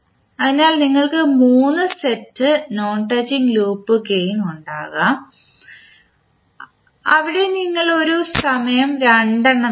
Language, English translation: Malayalam, So you will have 3 sets of non touching loop gains where you will take two at a time